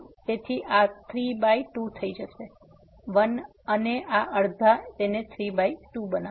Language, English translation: Gujarati, So, this will become 3 by 2; 1 and this half will make it 3 by 2